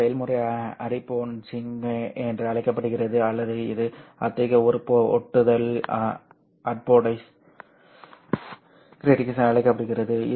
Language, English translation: Tamil, This process is called as apodizing or this is such a grating is called as apodized gratings